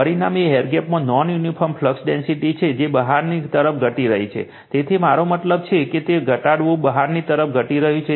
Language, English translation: Gujarati, The result is non uniform flux density in the air gap that is decreasing outward right, so I mean decreasing your it is outwards